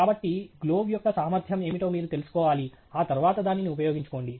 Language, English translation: Telugu, So you should be aware of what is the capability of the glove and then use it accordingly